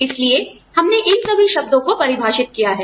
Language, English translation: Hindi, So, we defined, all these terms